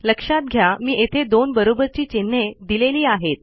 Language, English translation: Marathi, Notice I am using a double equal to sign here